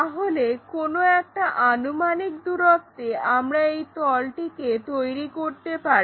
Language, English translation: Bengali, So, at any arbitrary distance we should be in a position to construct this plane